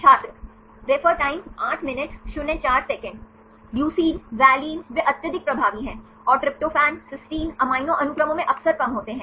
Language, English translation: Hindi, Leucine, valine they are highly dominant, and tryptophan, cysteine are less frequent in the in amino acid sequences